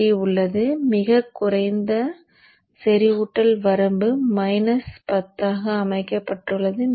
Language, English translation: Tamil, There is a L sat, there is a lower saturation limit, set it to minus 10